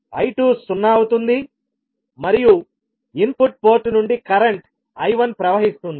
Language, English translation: Telugu, I2 will be zero and we will have current I1 flowing from the input port